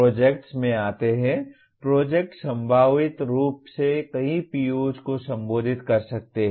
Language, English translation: Hindi, Coming to the projects, projects can potentially address many POs